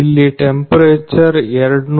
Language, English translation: Kannada, The temperature here is 240